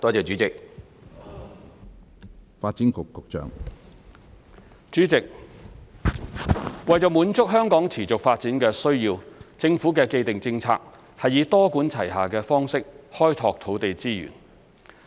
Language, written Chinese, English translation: Cantonese, 主席，為滿足香港持續發展的需要，政府的既定政策是以多管齊下的方式開拓土地資源。, President to support the sustainable development of Hong Kong it is the established policy of the Government to adopt a multi - pronged approach to enhance land supply